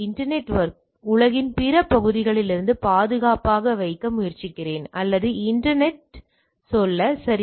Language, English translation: Tamil, I am trying to do a internet network secure from the rest of the world or so to say the internet, right